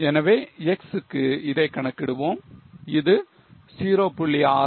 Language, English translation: Tamil, So, let us calculate it for x